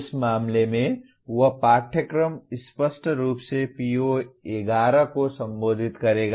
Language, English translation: Hindi, In that case that course obviously will address PO 11